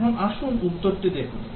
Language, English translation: Bengali, Now let us see the answer